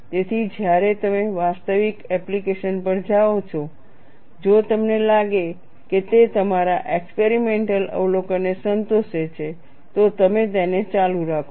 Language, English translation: Gujarati, So, when you go to actual application, if you find it satisfies your experimental observation, you carry on with it